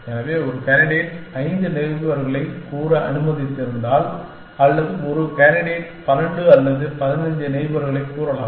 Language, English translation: Tamil, So, if a candidate has let us say 5 neighbors or if a candidate has let us say 12 or 15 neighbors